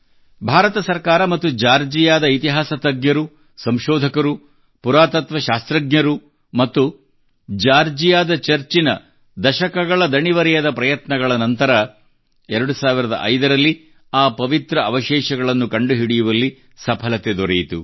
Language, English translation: Kannada, After decades of tireless efforts by the Indian government and Georgia's historians, researchers, archaeologists and the Georgian Church, the relics were successfully discovered in 2005